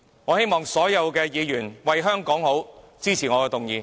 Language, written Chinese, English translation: Cantonese, 我希望所有議員為香港着想，支持我的議案。, Thus I do hope that all Members will support my motion for the very sake of Hong Kong